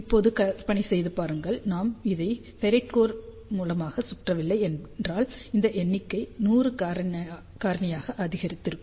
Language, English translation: Tamil, And now just imagine, if we had not wrapped it around of ferrite core, this number would have increased by a factor of 100